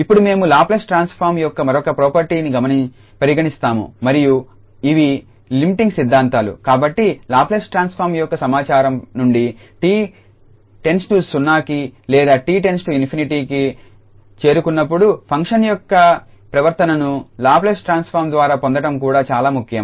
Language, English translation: Telugu, Now, we will move to the another property of Laplace transform and these are the limiting theorems, so they are also important to get the behavior of the function as t approaches to 0, t approaches to infinity from the information of the Laplace transform